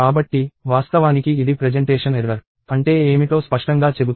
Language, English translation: Telugu, So, actually it clearly says what a presentation error is